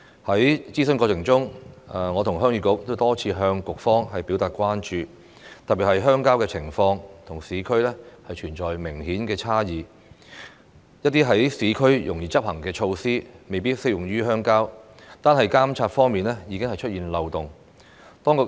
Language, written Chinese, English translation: Cantonese, 在諮詢過程中，我和鄉議局多次向局方表達關注，特別是鄉郊的情況與市區存在明顯差異，一些在市區容易執行的措施，未必適用於鄉郊，單是監察方面已經出現漏洞。, During the consultation process Heung Yee Kuk and I have expressed our concerns to the Bureau many times especially about the marked difference between the situations in rural and urban areas . Some measures that can be easily implemented in urban areas may not be applicable to rural areas . There are already loopholes in monitoring alone